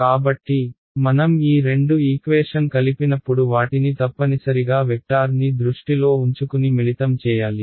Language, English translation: Telugu, So, when I combine these two equations I must combine them keeping the vectors in mind right